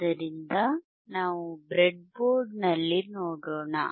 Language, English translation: Kannada, So, let us see on the breadboard